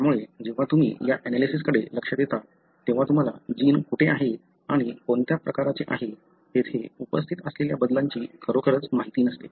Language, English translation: Marathi, So, it is when you look into this analysis, you really do not know where is the gene and what kind of changes that are present there